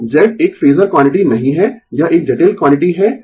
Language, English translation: Hindi, So, Z is not a phasor quantity right, it is a complex quantity